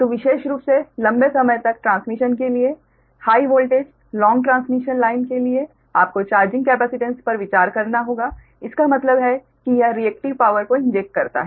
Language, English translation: Hindi, so particularly particularly for long transmission, high voltage, long transmission line, you have to consider the charging capacitance